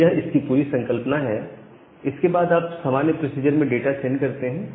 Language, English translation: Hindi, So, that is this entire idea and after that you send the data in our normal procedure